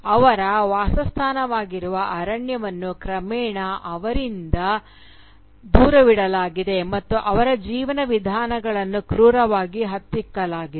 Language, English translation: Kannada, The forest, which is their habitation, has been gradually taken away from them and their ways of life have been brutally crushed